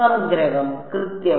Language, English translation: Malayalam, Summation exactly right